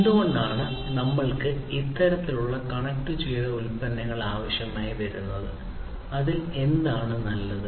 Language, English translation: Malayalam, So, the question is that why do we need this kind of connected products, what is so good about it